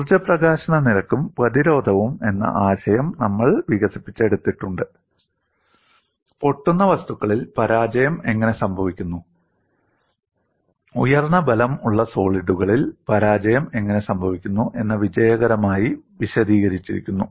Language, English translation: Malayalam, See, what you will have to keep in mind is we have developed the concept of energy release rate and resistance, which has successfully explained how failure occurs in brittle materials, how failure occurs in high strength ductile solids